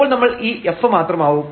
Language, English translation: Malayalam, So, we have written just this f